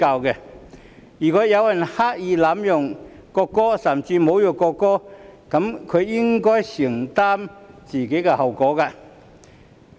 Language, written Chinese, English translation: Cantonese, 如果有人刻意濫用國歌，甚至侮辱國歌，這樣他便應該承擔自己行為造成的後果。, If people deliberately abuse the national anthem or even insult the national anthem they should bear the consequences of their own actions